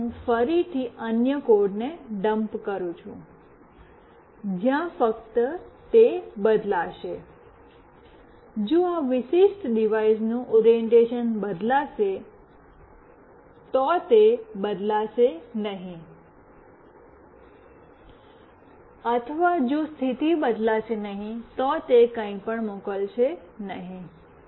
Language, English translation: Gujarati, Now, I again dump another code, where only it will change, if the orientation of this particular device changes, it will not change or it will not send anything if the position does not change